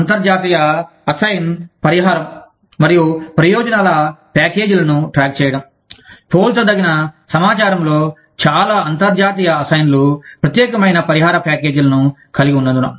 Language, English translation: Telugu, Keeping track of international assignee compensation and benefits packages, in some form of comparable information, since most international assignees have, unique compensation packages